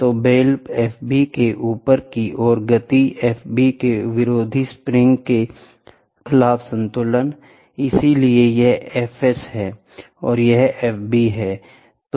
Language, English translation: Hindi, So, the upward movement of the bell F b is balanced against the opposing spring of F s so, this is F s and this is F b whatever